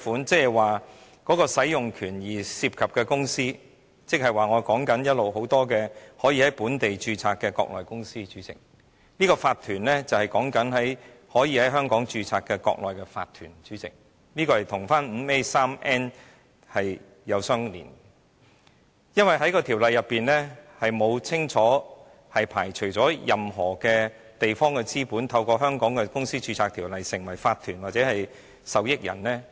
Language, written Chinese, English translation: Cantonese, 主席，使用權涉及的公司，亦即我一直多次提及可以在本地註冊的國內公司，這個法團是指可以在香港註冊的國內的法團，這與第 151n 條相聯繫，因為《條例草案》並沒有清楚排除任何地方的資本透過香港《公司條例》，註冊成為法團或受益人。, Chairman the company that grants the right to use that is the locally registered Mainland company which I have been talking about repeatedly . This corporation refers to a Mainland corporation which can be registered in Hong Kong . This is related to clause 151n as the Bill has not clearly excluded capital from any area to register as corporation or beneficiary under the Companies Ordinance in Hong Kong